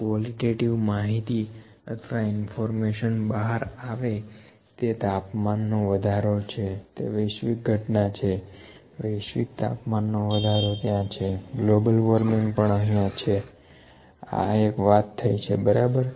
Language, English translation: Gujarati, Qualitative information or the information that can be extracted is the temperature rise can be the global phenomena, global temperature rise is there, global warming is here, this is one thing, ok